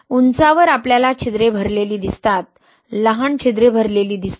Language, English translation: Marathi, In high we see the pores being filled, right, the smaller pores being filled